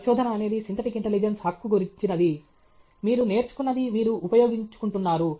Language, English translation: Telugu, Research is all about synthetic intelligence right; whatever you have learnt, you are making use